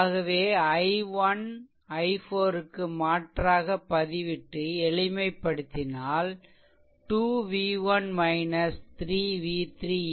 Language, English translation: Tamil, So, you substitute all i 1 and i 4 simplify you will get 2 v 1 minus 3 v 3 v 3 is equal to 2